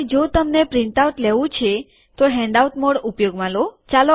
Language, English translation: Gujarati, And if you want to take a printout, use the handout mode